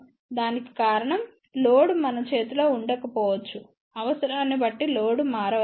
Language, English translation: Telugu, The reason for that is the load may not be in our hand, the load may change depending upon the requirement